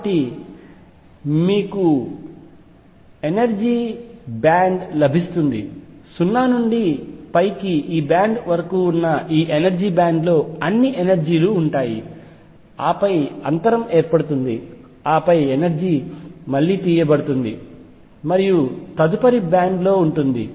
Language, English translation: Telugu, So, what you get is a band of energy, energy ranging from 0 to up to this band all the energies are in this band and then there is a gap and then the energy again picks up is in the next band